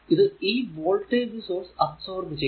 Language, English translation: Malayalam, So, it will be power absorbed by the voltage source